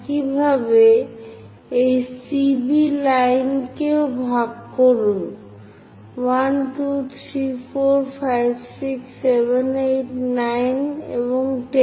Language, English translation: Bengali, Similarly divide this line CB also; 1, 2, 3, 4, 5, 6, 7, 8, 9 and 10